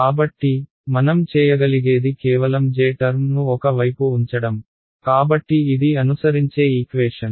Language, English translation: Telugu, So, what I can do is just keep the j term on one side, so this is the equation that follows right